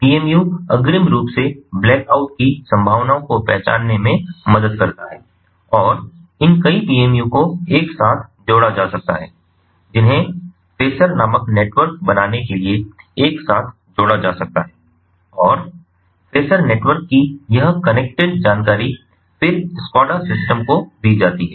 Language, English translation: Hindi, the pmu helps to identify the possibility of blackout in advance and these multiple pmus can be connected together, can be networked together to form something called the phasor network, and this connected information of the phasor network can then be fed to the scada system